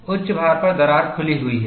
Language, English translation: Hindi, At the peak load, the crack is open